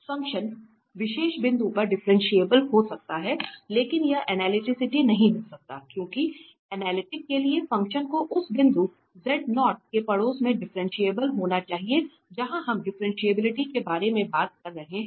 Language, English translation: Hindi, So, the function may be differentiable at a particular point, but it may not be analytic because for analytic, the function has to be differentiable or so in the neighborhood of that point z0 where we are talking about the differentiability